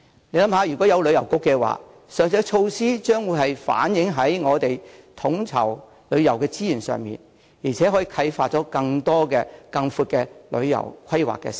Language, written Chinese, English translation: Cantonese, 試想一下，如設有一個旅遊局，上述設施便會反映在統籌旅遊的資源上，而且可以啟發出更多、更寬的旅遊規劃思路。, Just imagine if a Tourism Bureau is established the initiatives mentioned above will be collectively reflected in the coordination of tourism resources and more tourism planning in a wider sense can be inspired